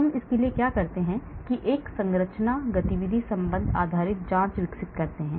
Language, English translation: Hindi, what do I do I may develop a structure activity relation based screening